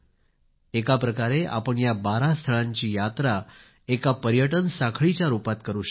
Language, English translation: Marathi, In a way, you can travel to all these 12 places, as part of a tourist circuit as well